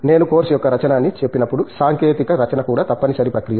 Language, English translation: Telugu, When I say writing of course, technical writing is also mandatory process